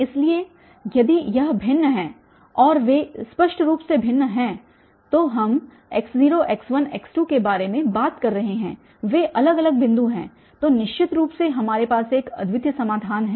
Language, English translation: Hindi, So, if this are distincts and they are obviously distinct we are talking about x naught, x1, x2 they are distinct points then definitely we have this unique solution